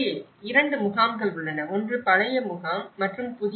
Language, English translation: Tamil, There are two camps; one is a old camp and the new camp